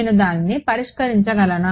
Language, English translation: Telugu, Can I solve it